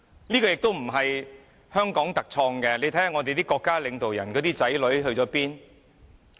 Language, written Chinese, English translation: Cantonese, 這情況不是香港特有的，你看看我們國家領導人的子女去了哪裏？, This situation does not only appear in Hong Kong . Just look at where the children of our national leaders have gone?